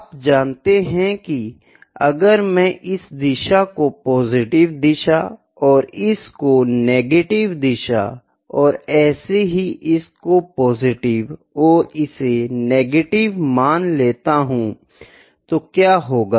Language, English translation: Hindi, You know what will happen if I take it as a positive direction, this as negative direction and so on from here to positive and negative